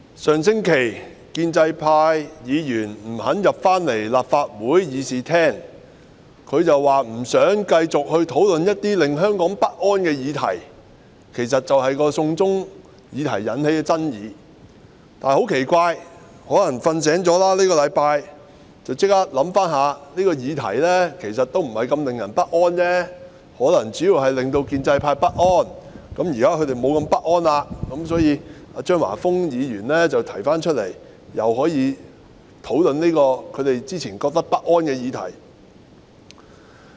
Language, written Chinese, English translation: Cantonese, 主席，建制派議員上星期不肯返回立法會議事廳，理由是不想繼續討論一些令香港不安的議題，亦即"送中"議題引起的爭議；但很奇怪，可能他們這星期睡醒了，便馬上想到這個議題其實也不是如此令人不安，可能主要只是令建制派不安，現在已沒那麼不安，所以，張華峰議員便提出討論這個之前令他們不安的議題。, President the pro - establishment Members refused to return to the Chamber of the Legislative Council last week because they did not wish to continuously discuss issues that would arouse anxieties in Hong Kong or more precisely they did not wish to discuss the controversies arising from the China extradition law . But it strikes me as strange that this week they might have woken up from their sleep and so they instantly formed the view that actually this issue is not that upsetting or probably there were anxieties mainly in the pro - establishment camp only and as they do not feel so upset now Mr Christopher CHEUNG has therefore proposed to discuss this issue which they considered upsetting previously